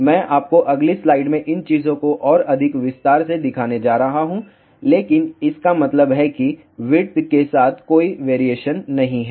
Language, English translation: Hindi, I am going to show you these things in more detail in the next slide, but 0 implies no variation along the width